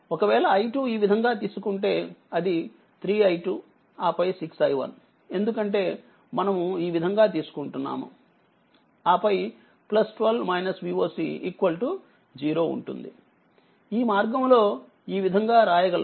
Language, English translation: Telugu, So, it will be minus 3 i 2 right, then minus 6 i 1 right because we are taking like this, then your plus 12 minus V oc will be is equal to 0, this way you can write the way you write